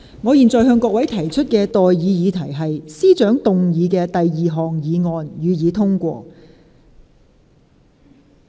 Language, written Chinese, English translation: Cantonese, 我現在向各位提出的待議議題是：政務司司長動議的第二項議案，予以通過。, I now propose the question to you and that is That the second motion moved by the Chief Secretary for Administration be passed